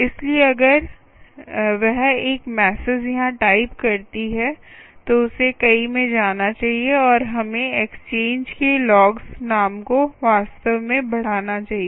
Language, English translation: Hindi, so if she types a message here, it should go to many and we should see the logs, ah, name of the exchange, actually incrementing that